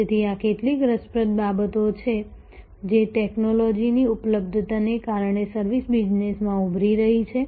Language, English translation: Gujarati, So, these are some interesting things that are emerging in the service business, because of technology availability